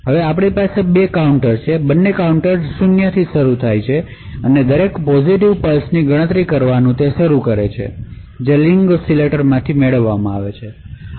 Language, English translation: Gujarati, Now we have two counters; both the counters start with 0 and they begin counting each periodic or each positive pulse that is obtained from the ring oscillator